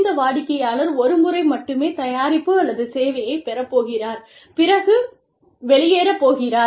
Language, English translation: Tamil, This customer is going to purchase it, the product or service, one time, and going to leave